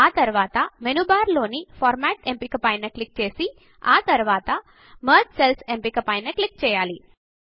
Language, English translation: Telugu, Next click on the Format option in the menu bar and then click on the Merge Cells option